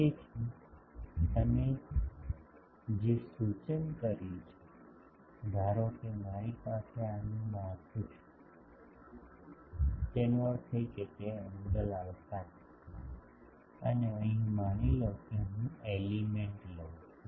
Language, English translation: Gujarati, So, what you suggested that, suppose I have a structure like this; that means, it is a angle alpha, and here suppose I take a element